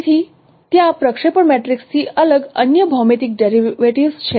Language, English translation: Gujarati, So there are different no other geometric derivatives from projection matrix